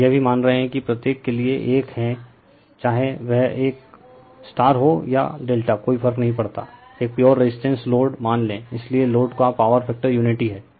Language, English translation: Hindi, And we are also we are assuming it is a for each whether it is a star or delta does not matter, we assume a pure resistive load, so power factor of the load is unity right